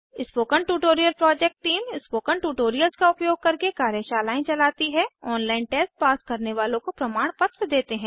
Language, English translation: Hindi, The spoken tutorial project team conducts workshops using spoken tutorials, gives certificates to those who pass an online test